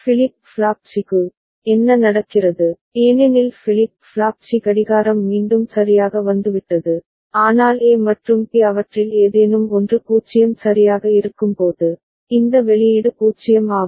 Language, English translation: Tamil, And for flip flop C, what is happening, for flip flop C clock again has come right, but when A and B any one of them is 0 right, this output is 0